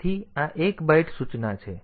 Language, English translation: Gujarati, So, this is 1 byte instruction